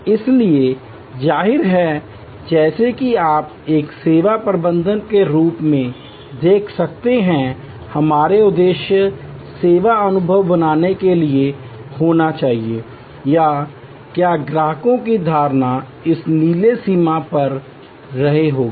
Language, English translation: Hindi, So; obviously, as you can see as a services manager our aim should be to create a service experience, were customers perception will go beyond this blue boundary